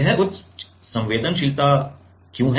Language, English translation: Hindi, Why this is high sensitivity